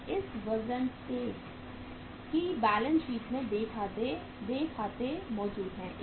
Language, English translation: Hindi, So because of that the accounts payables exist in the balance sheet